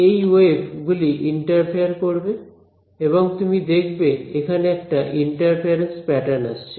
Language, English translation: Bengali, These waves interfere right and you observe, interference pattern appears over here ok